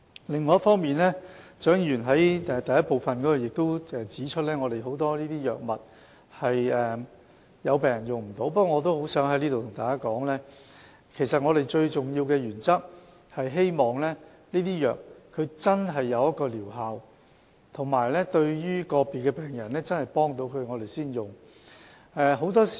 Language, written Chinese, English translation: Cantonese, 另一方面，蔣議員在其補充質詢的第一部分亦指出，有很多藥物是病人無法使用的，不過，我在此想告訴大家，我們最重要的原則是希望藥物真的有療效，以及對個別病人真的有幫助，我們才會使用。, On the other hand Dr CHIANG has also pointed out in the first part of her supplementary question that there are many drugs which patients are unable to take but here I would like to tell Members that our most important principle is to administer a drug only when it is really effective and can indeed help individual patients